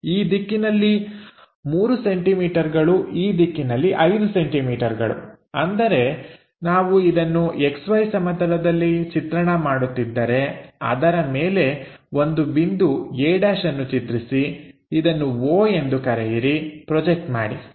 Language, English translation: Kannada, 3 centimetres in this direction, 5 centimetres in this direction; that means, if we are drawing this one X Y plane above that locate a point a’ call this one o project it